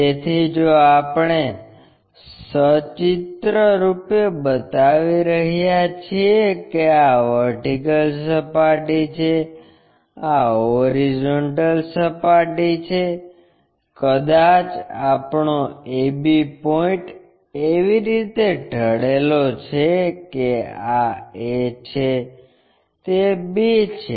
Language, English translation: Gujarati, So, if we are pictorially showing that this is the vertical plane, this is the horizontal plane, perhaps our AB point inclined in such a way that, this is A, that is B